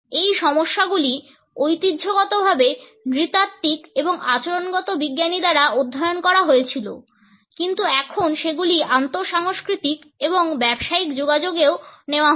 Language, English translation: Bengali, These issues were traditionally studied by ethnologist and behavioral scientist, but they are now being taken up in intercultural and business communications also